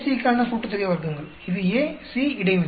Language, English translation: Tamil, Sum of squares for AC; that is A, C interaction